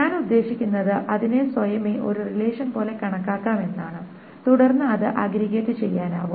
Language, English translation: Malayalam, I mean it can be treated like a relation by itself and then it can be aggregated